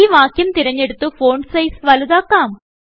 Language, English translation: Malayalam, Now, lets select the text and increase the font size